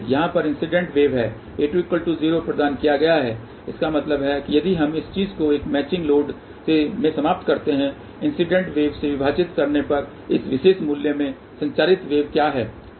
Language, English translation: Hindi, Incident wave over here; provided a 2 is equal to 0 so that means, if we terminate this thing into a match load, then what is the transmitted wave to this particular value divided by the incident